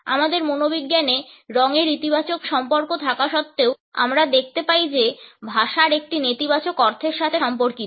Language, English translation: Bengali, Despite the positive associations which color has in our psychology, we find that in language it communicates a negative meaning to be in